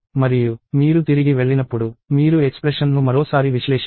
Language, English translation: Telugu, And when you go back, you have to evaluate the expression once more